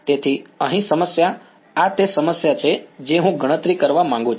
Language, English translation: Gujarati, So, the problem over here this is the problem that I want to calculate